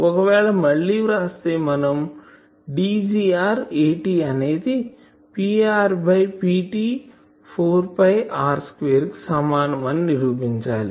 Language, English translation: Telugu, So, if we again write we can prove that D gr A t will be equal to P r by P t 4 pi R square